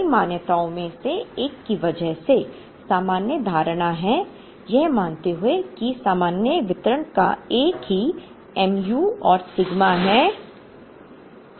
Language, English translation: Hindi, Because of several assumptions one of which of course, is the normal assumption, the assuming that the normal distribution has the same mu and sigma roughly of this